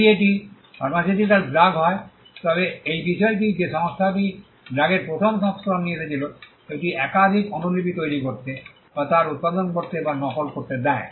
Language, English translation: Bengali, If it is a pharmaceutical drug the fact that the company came up with the first version of the drug allows it to make or mass produce or duplicate multiple copies